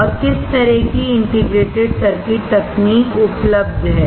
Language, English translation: Hindi, And what are the kind of integrated circuit technology that are available